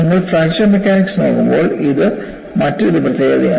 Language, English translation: Malayalam, So, this is another specialty when you are looking at fracture mechanics